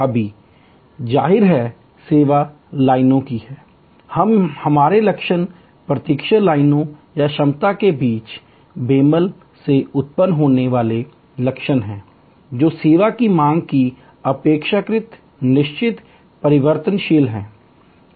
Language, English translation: Hindi, Now; obviously, service lines areů It is our symptoms, waiting lines or symptoms arising from the mismatch between the capacity, which is relatively fixed and variability of service demand